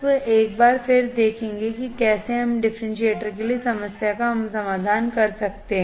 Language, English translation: Hindi, You will once again see how we can solve the problem for a differentiator